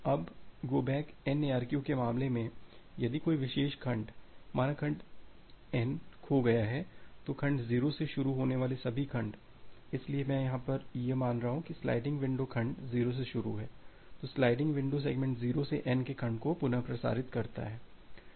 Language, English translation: Hindi, Now in case of an go back N ARQ if a particular segment say segment N is lost then, all the segment starting from segment 0, so, here I am assuming that segment 0 is the start of the sliding window to segment N are retransmitted